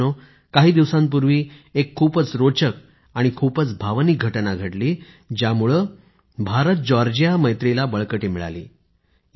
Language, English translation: Marathi, Friends, a few days back a very interesting and very emotional event occurred, which imparted new strength to IndiaGeorgia friendship